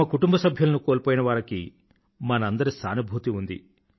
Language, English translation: Telugu, Our sympathies are with those families who lost their loved ones